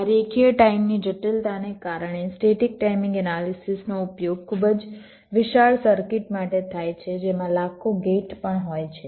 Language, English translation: Gujarati, because of this linear time complexity, the static timing analysis can be very easily used for very large circuits comprising of millions of gates as well